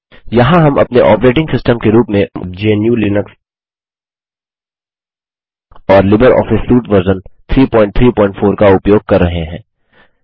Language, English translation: Hindi, Here we are using GNU/Linux as our operating system and LibreOffice Suite version 3.3.4